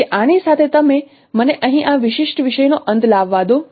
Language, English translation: Gujarati, So with this, let me conclude this particular topic here